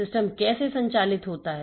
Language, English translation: Hindi, How does the system operate